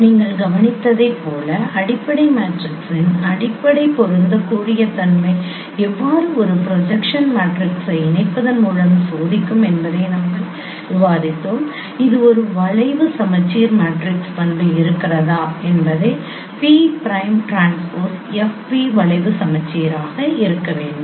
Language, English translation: Tamil, Like you have observed, you have discussed how fundamental compatibility of fundamental matrix with pairs of projection matrices could be tested by observing whether it is that there is a skew symmetric matrix property, p prime transpose f, p should be skew symmetricsics